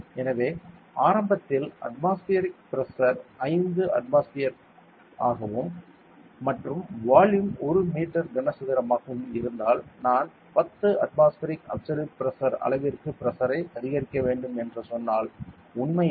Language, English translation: Tamil, So, initially, if the atmospheric pressure was 5 atmosphere and volume was 1 meter cube then if I increase the pressure to say 10 atmospheric absolute pressure the volume will decrease actually, to how much to 0